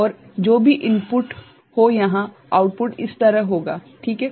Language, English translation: Hindi, And, whatever is the a input here the output will be at that side ok